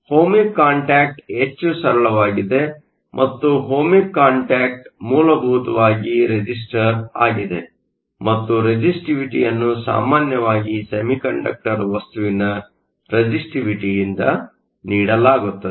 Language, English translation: Kannada, An Ohmic contact is much simpler and Ohmic contact is essentially a resistor and a resistivity is usually given by the resistivity of the semiconductor material